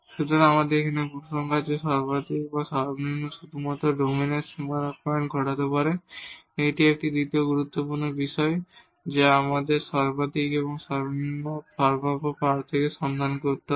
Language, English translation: Bengali, So, the conclusion here that maximum and minimum can occur only at the boundary points of the domain; that is a one and the second the critical points which we have to look for the possible candidates for maximum and minimum